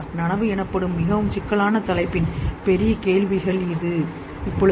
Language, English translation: Tamil, These are the big questions of the most complex topic called consciousness